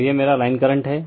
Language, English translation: Hindi, So, this is my your so line current